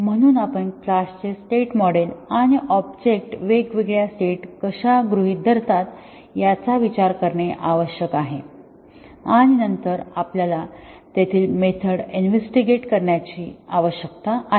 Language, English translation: Marathi, So, we need to consider the state model of the class and how the objects assume different states and then we need to test the methods there